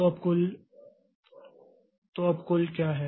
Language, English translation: Hindi, So, what is the total now